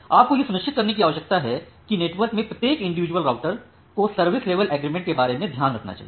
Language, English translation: Hindi, You need to ensure that every individual router in the network should take care of about your service level agreement